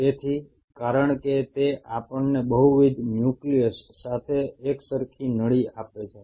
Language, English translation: Gujarati, So because it is a continuous tube with multiple nucleus